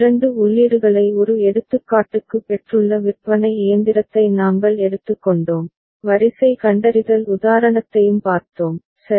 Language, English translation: Tamil, And we took up vending machine which has got two inputs as an example, also saw the sequence detector example, right